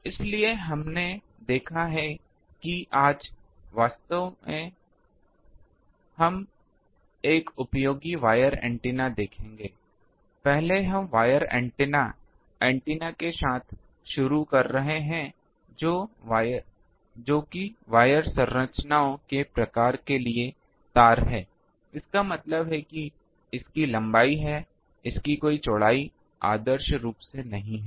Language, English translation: Hindi, So, that is why we have seen that, today we will see a really useful wire antenna first we are starting with wire antennas, antennas which are wires for type of wire structures; that means, it has length it does not have any ah width ideally